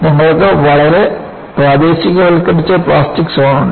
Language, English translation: Malayalam, You have plastic zone that is very highly localized